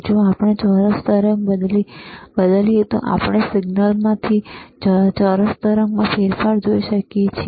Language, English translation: Gujarati, If we change the square wave we can see change in signal to square wave